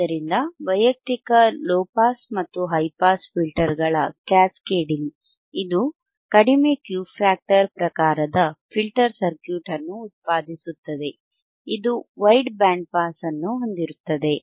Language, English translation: Kannada, This cascading together of individual low pass and high pass filter produces a low Q vector factor, type filter circuit which has a wide band pass band which has a wide pass band, right